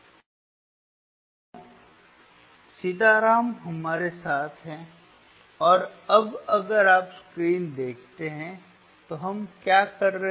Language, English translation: Hindi, So, Sitaram is with us and now if you see the screen if you see the screen, what we are doing